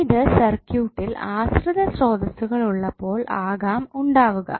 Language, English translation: Malayalam, And it is also possible when the circuit is having dependent sources